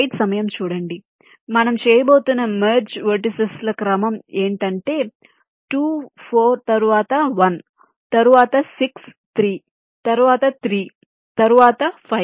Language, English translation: Telugu, so this sequence of vertices: you are merging two, four, then one, then six, three, then three, then five